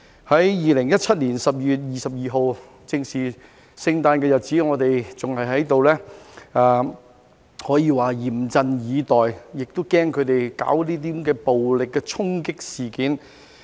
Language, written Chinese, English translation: Cantonese, 在2017年12月22日，正值聖誕的日子，我們還在這裏可以說是嚴陣以待，也害怕他們搞暴力的衝擊事件。, On 22 December 2017 around Christmas time it could be said that we were still here being on the alert and in fear of their violent attack